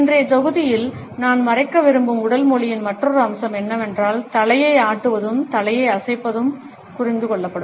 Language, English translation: Tamil, Another aspect of body language which I want to cover in today’s module, is the way head nods and shaking of the head is understood